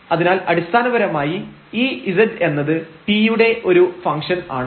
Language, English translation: Malayalam, So, basically this z is a function of t alone